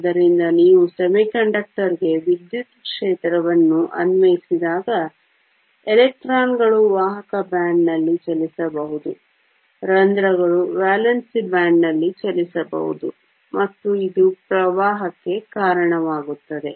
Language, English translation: Kannada, So, when you apply an electric field to a semiconductor, the electrons can move in the conduction band, the holes can move in the valence band, and this gives rise to current